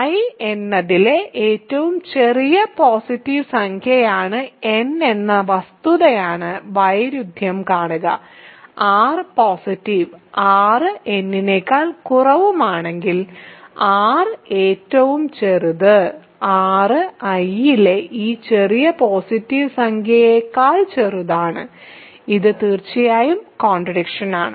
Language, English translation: Malayalam, See the contradiction is to the fact that n is the smallest positive integer in I, if r is positive r is less than n, r is smallest r is smaller than this smallest positive integer in I which is certainly absurd